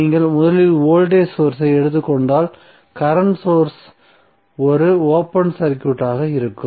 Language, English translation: Tamil, So let us take 1 source at time suppose if you take voltage source first then what you will do you will current source as a open circuit